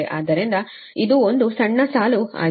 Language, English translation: Kannada, so this is a short line